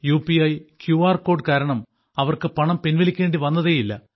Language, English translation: Malayalam, Because of the UPI QR code, they did not have to withdraw cash